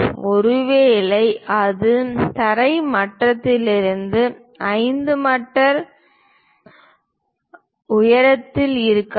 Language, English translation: Tamil, Perhaps, it might be 5 meters above the ground level